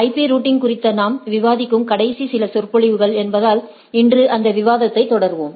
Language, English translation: Tamil, As we are last few lectures we are discussing on IP Routing, so, today we will continue that discussion